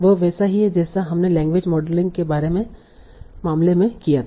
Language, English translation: Hindi, This is similar to what we did in the case of language modeling